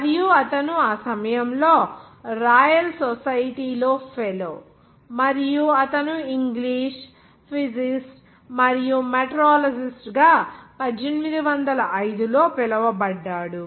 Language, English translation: Telugu, And he was at that time the fellow of the royal society and he was English, physicist and was called as a meteorologist in 1805